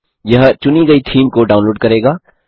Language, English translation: Hindi, This will download the chosen theme